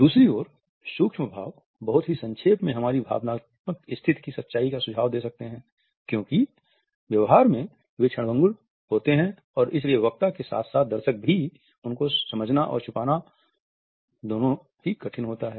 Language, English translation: Hindi, On the other hand the micro expressions very briefly can suggest the truth of our emotional state because they occur in a fleeting fashion and therefore, their understanding as well as their concealment by the onlooker as well as by the speaker is rather tough